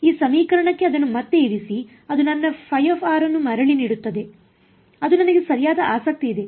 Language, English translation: Kannada, Put it back into this equation that gives me back my phi of r which is what I am interested in right